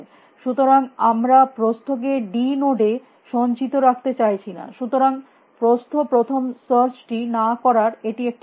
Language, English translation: Bengali, So, we do not want to store breadth to d nodes that is a reason why are not doing breadth first search